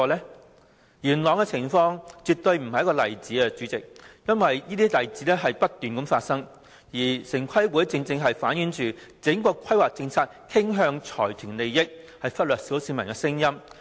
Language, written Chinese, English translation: Cantonese, 主席，元朗的情況絕非單一例子，因為這些情況不斷發生，城規會的做法正正反映整項規劃政策傾向財團利益，忽略小市民的聲音。, How could TPB not approve the proposal? . President the situation in Yuen Long is by no means a single example as these situations have continued to arise . TPBs approach precisely reflects that the whole planning policy is tilted in favour of consortia ignoring the views of the common mass